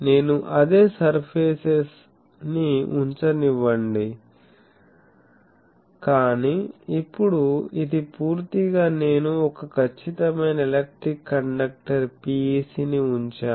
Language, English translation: Telugu, Let me put that same surfaces, but now this is totally I put a perfect electric conductor PEC